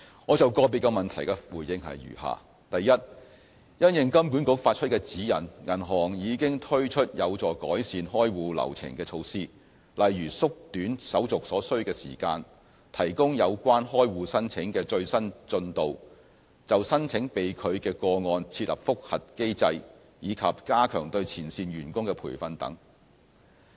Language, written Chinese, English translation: Cantonese, 我就個別質詢的回覆如下：一因應金管局發出的指引，銀行已經推出有助改善開戶流程的措施，例如縮短手續所需時間、提供有關開戶申請的最新進度，就申請被拒的個案設立覆核機制，以及加強對前線員工的培訓等。, My response to specific questions is as follows 1 In response to the HKMA guidance banks have taken a number of measures to improve the account opening process such as shortening the turnaround time providing interim updates about the progress of applications establishing review mechanisms for unsuccessful applications and strengthening training of front line staff